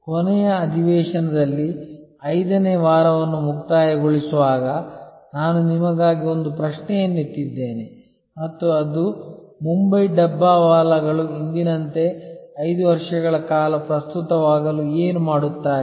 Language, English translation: Kannada, In the last session while concluding week number 5, I had raised a question for you and that was, what will the Mumbai dabbawalas do to remain as relevant 5 years from now as they are today